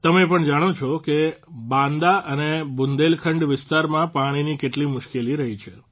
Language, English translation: Gujarati, You too know that there have always been hardships regarding water in Banda and Bundelkhand regions